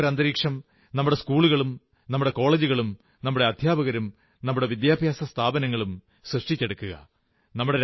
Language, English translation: Malayalam, Such an atmosphere can be created by our schools, our colleges, our teachers, our educational institutions